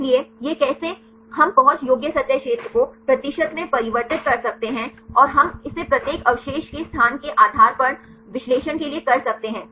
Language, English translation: Hindi, So, this how we can get the accessible surface area converted into percentage and we can do it for analysis depending upon the location of each residue